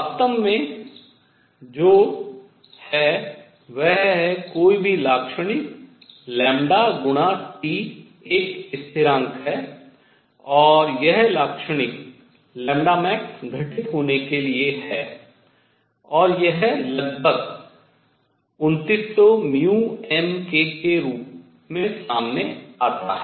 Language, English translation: Hindi, In fact, what is true is at lambda any feature times T is a constant and that feature be happened to take to be the lambda max, and this comes out to be the roughly 2900 micrometer Kelvin